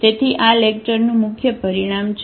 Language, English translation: Gujarati, So, that is the main result of this lecture